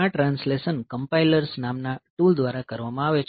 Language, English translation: Gujarati, So, this translation is done by the tool called compilers, this is done by the tools called compilers